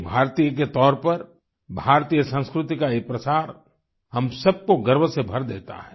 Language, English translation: Hindi, The dissemination of Indian culture on part of an Indian fills us with pride